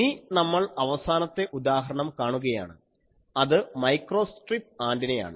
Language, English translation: Malayalam, Now, we will see the last example that will be microstrip antenna